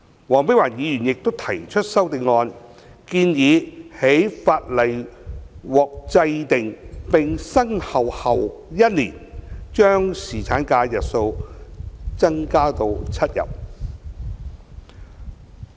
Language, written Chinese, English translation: Cantonese, 黃碧雲議員亦提出修正案，建議在法例獲制定並生效後1年，將侍產假的日數增加至7天。, Dr Helena WONG has also proposed an amendment to extend the duration of paternity leave to seven days one year after the commencement of the enacted Ordinance